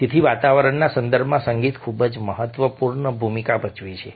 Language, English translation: Gujarati, so music does play a very significant role in the context of ambience